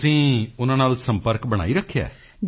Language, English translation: Punjabi, Are you still in touch with them